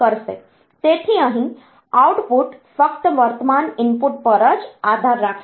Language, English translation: Gujarati, So, here output depends on current input only